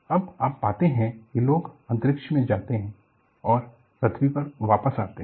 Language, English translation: Hindi, See, now you find people go to space and come back to earth